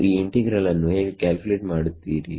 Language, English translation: Kannada, How would you calculate this integral